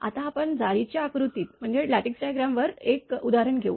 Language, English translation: Marathi, Now we will take one example on lattice diagram